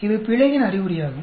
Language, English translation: Tamil, This is an indication of the error